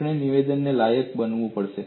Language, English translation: Gujarati, We have to qualify the statement